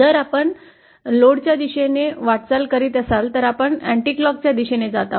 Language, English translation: Marathi, If we are moving towards the load, we are going in an anticlockwise direction